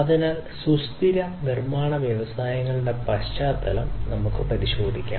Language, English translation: Malayalam, So, let us consider the context of sustainable manufacturing industries